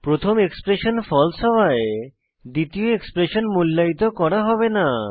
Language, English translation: Bengali, Since the first expression is false, the second expression will not be evaluated